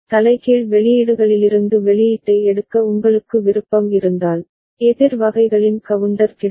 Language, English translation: Tamil, And if you have the option of taking the output from the inverted outputs, then the counter of opposite kind can be available